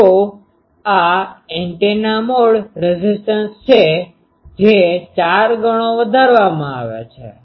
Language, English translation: Gujarati, So, this is the a that antenna mode impedance that is stepped up by four fold